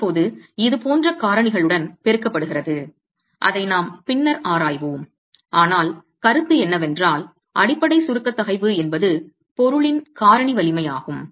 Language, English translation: Tamil, Now this is then multiplied with other factors which we will examine subsequently but the point is the basic compressive stress is a factored strength of the material